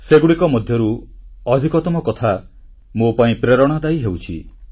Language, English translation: Odia, Most of these are inspiring to me